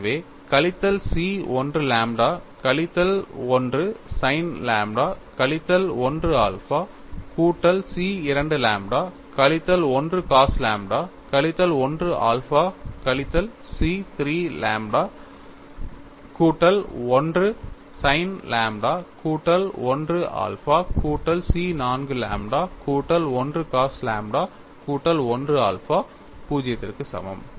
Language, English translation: Tamil, The next equation is C 1 lambda minus 1 sin lambda minus 1 alpha C 2 multiplied by lambda minus 1 cos lambda minus 1 alpha plus C 3 lambda plus 1 sin lambda plus 1 alpha plus C 4 lambda plus 1 into cos lambda plus 1 alpha equal to 0